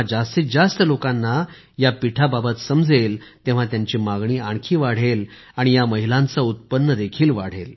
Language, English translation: Marathi, When more people came to know about the banana flour, its demand also increased and so did the income of these women